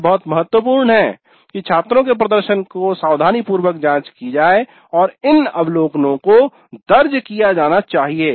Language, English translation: Hindi, So it is very important that the performance of the students is carefully examined and these observations are recorded